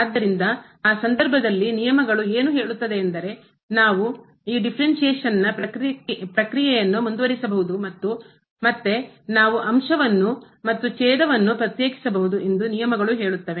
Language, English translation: Kannada, So, in that case the rules says that we can continue this process of these differentiation and again we can differentiate the numerator and again the denominator